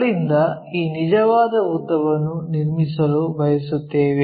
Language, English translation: Kannada, And, from there we would like to construct this true length